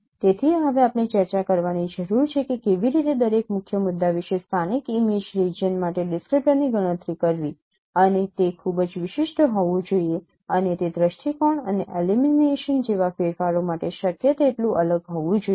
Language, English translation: Gujarati, So next we need to we need to discuss that how to compute a descriptor for the local image region about each key point and that should be very highly distinctive and also it should be invariant as possible as for the variations such as changes in viewpoint and illumination